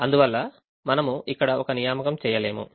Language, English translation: Telugu, so this one, we cannot have an assignment